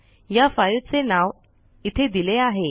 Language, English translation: Marathi, The name of this file is given here